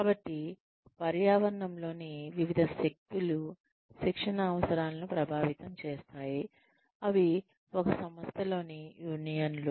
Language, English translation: Telugu, So, various forces within the environment, that can influence training needs, in an organization are unions